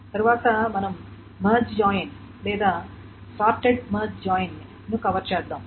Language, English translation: Telugu, Next we will cover the merge join or the short merge join